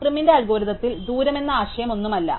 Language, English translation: Malayalam, In PrimÕs algorithm the only distance, the notion of distance is not the same